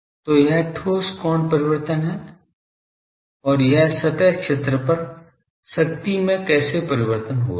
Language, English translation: Hindi, So, this is solid angle variation and this is the on the surface area how the power is varying ok